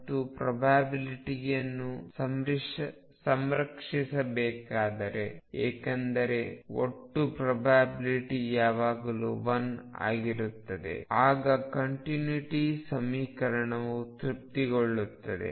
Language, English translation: Kannada, And if the probability is to be conserved which should be because total probability always remains 1, then the continuity equation will be satisfied